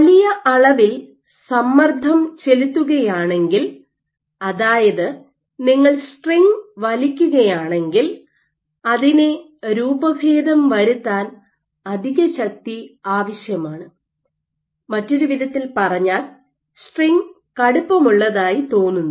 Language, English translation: Malayalam, So, if you pull the string then if you try to deform it you need extra force to deform it, in other words the string appears to be stiffer